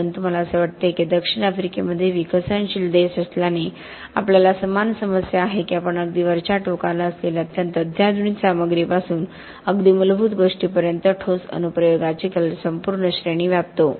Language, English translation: Marathi, But it seems to me and we have much the same problem in South Africa with being a developing country that we span the entire range of concrete application right from the very sophisticated stuff at the top end, right down to the very basic stuff